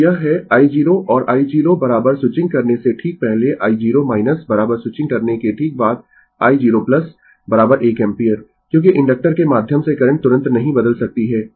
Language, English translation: Hindi, So, this is i 0 and i 0 is equal to just before switching i 0 minus is equal to just after switching i 0 plus is equal to one ampere, because current through the inductor cannot change instantaneously